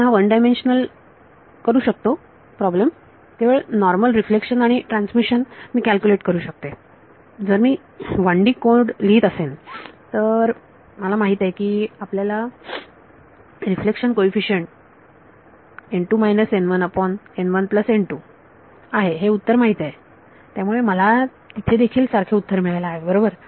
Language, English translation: Marathi, You can make it a 1 dimensional problem, just normal reflection and transmission I can calculate that if I were writing a 1D code, I know the answer you know reflection coefficient is n 2 minus n 1 by n 1 plus n 2 I should get the same answer there right